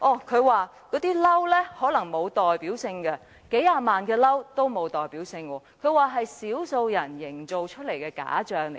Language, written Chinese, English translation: Cantonese, 他說那些"嬲"可能沒有代表性，把數十萬個"嬲"說成是少數人營造出來的假象。, He argues that all these Angrys may not mean anything at all and simply dismisses the several hundred thousand Angrys as a false picture fabricated by a handful of people